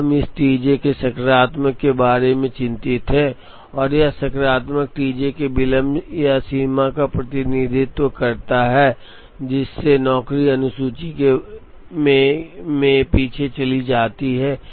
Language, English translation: Hindi, Now, we are concerned about this T j being positive, and that positive T j represents the delay or the extent, to which the job goes behind the schedule